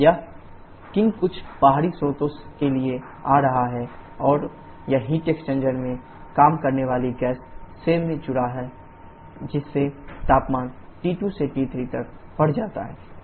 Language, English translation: Hindi, This qin is coming for some external source and that gets added to the gas working in the heat exchanger thereby increasing temperature from T2 to T3